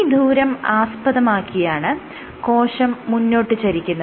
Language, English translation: Malayalam, So, this is the distance by which the cell moves forward